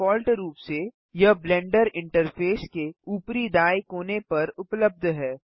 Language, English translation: Hindi, By default it is present at the top right corner of the Blender Interface